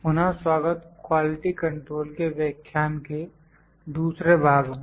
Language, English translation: Hindi, Welcome back to the second part of lecture on the Quality Control